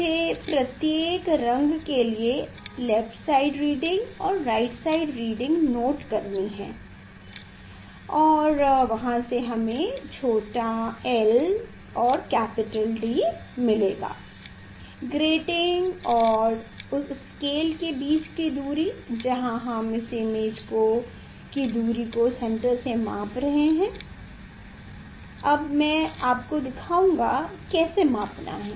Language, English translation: Hindi, that reading I have to note down left side reading and hand side reading for each color and for from there we will get small l and capital D, the distance between these grating and the that scale where we are measuring the that image distance from the central one; that I will show you now, how to measure